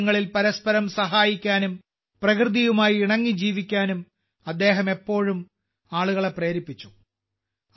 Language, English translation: Malayalam, She always urged people to help each other in need and also live in harmony with nature